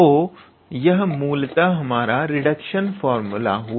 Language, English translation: Hindi, So, this is basically our reduction formula